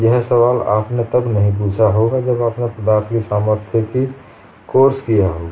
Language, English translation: Hindi, This question you would not have asked when you have done a course in strength of materials